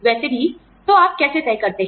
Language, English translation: Hindi, Anyway, so, how do you decide